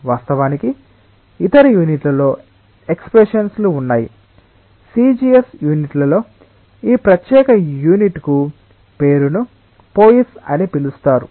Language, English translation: Telugu, Of course, in other units there are expressions like; in CGS units this particular unit is given the name as poise